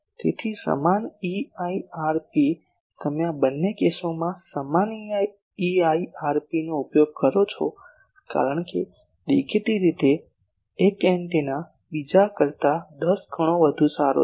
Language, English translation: Gujarati, So, same EIRP you use in both this cases same EIRP because obviously, one antenna is much better 10 times better in gain than the other